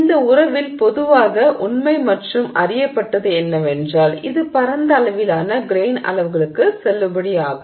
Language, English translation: Tamil, What is generally true and known of this relationship is that it is valid over a wide range of grain sizes